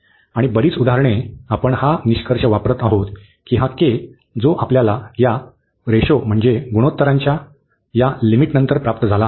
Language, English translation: Marathi, And most of the examples exactly we use this conclusion that this j k, which we got after this limit of this ratio